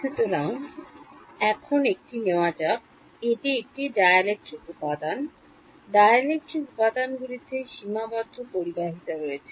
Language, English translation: Bengali, So, now let us take a, this is a dielectric material; dielectric material has finite conductivity right